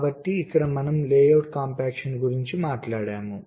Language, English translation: Telugu, so here we talked about layout compaction